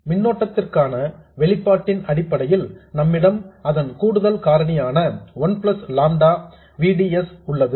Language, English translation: Tamil, In terms of the expression for the current we have the additional factor 1 plus lambda VDS